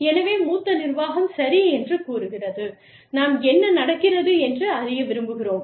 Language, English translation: Tamil, So, the senior management says, okay, we want to know, what is going on